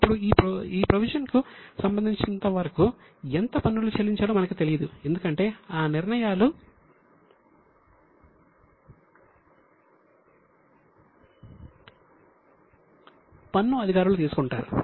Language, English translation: Telugu, Now, as far as the provision is concerned, we don't know how much taxes will be finally payable because those decisions are taken by tax authorities